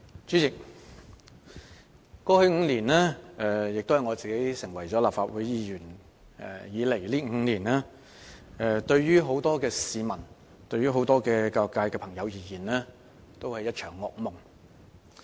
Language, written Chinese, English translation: Cantonese, 主席，過去5年來，亦即自我成為立法會議員的5年來，對大部分市民和教育界朋友而言，均是一場噩夢。, President the past five years or the five years since I became a Member of the Legislative Council were a nightmare to most people and members of the education sector